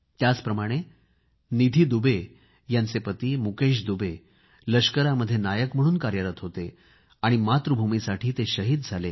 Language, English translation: Marathi, Similarly, Nidhi Dubey's husband Mukesh Dubey was a Naik in the army and attained martyrdom while fighting for his country